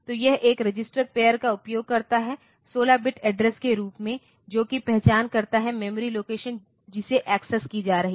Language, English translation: Hindi, So, this uses data in a register pair as a 16 bit address to identify the memory location being accessed